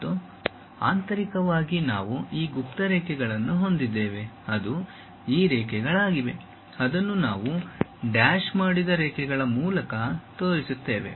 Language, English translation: Kannada, And, internally we have these hidden lines which are these lines, that we will show it by dashed lines